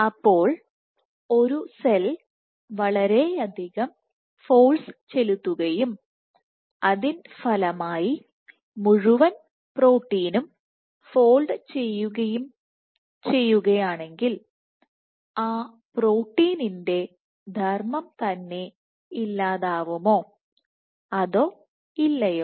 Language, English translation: Malayalam, So, what if a cell is exerting so much force that the entire protein folds will that be the end a function of that protein or not